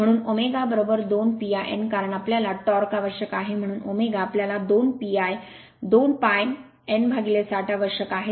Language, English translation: Marathi, Therefore, omega is equal to 2 pi n by because we need torque, so omega we require 2 pi n by 60